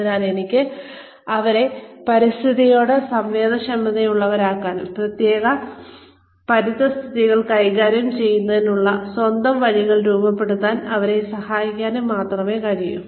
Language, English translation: Malayalam, So, I can only make them sensitive to the environment, and help them devise their own ways, of dealing with specific environments